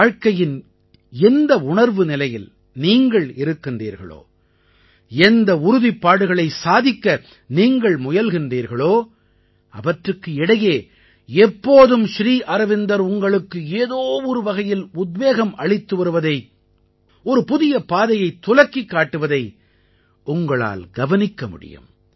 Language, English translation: Tamil, The state of inner consciousness in which you are, where you are engaged in trying to achieve the many resolves, amid all this you will always find a new inspiration in Sri Aurobindo; you will find him showing you a new path